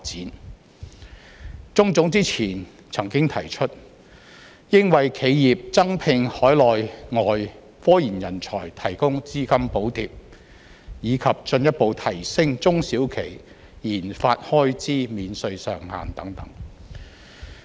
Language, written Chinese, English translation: Cantonese, 香港中華總商會之前曾經提出，當局應為企業增聘海內外科研人才提供資金補貼，以及進一步提升中小企研發開支免稅上限等。, The Chinese General Chamber of Commerce has previously suggested the authorities provide financial subsidies for enterprises to employ more Mainland and overseas RD talents and further raise the tax exemption ceiling for small and medium enterprises RD expenditure